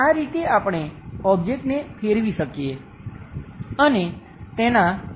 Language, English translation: Gujarati, This is the way also we can rotate the object and look at the views